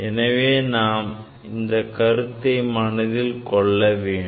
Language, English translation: Tamil, So, that is the fact that we have to keep in mind